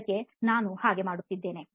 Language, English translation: Kannada, That is how I am doing